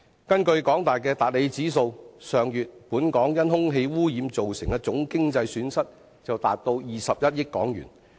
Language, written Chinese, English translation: Cantonese, 根據香港大學的達理指數，本港上月因空氣污染造成的總經濟損失達21億元。, As measured by the Hedley Environmental Index of the University of Hong Kong the total economic losses caused by air pollution in Hong Kong last month amounted to 2.1 billion